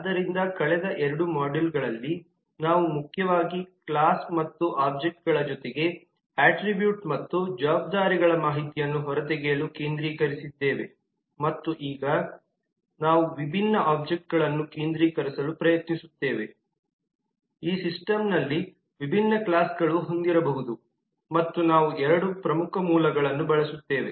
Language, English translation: Kannada, so in the last two modules we have been focussing primarily to extract the information of the classes and object along with that attributes and responsibilities and now we will try to focus more on the possible relationships that different object, different classes may have in this system and we will use two major source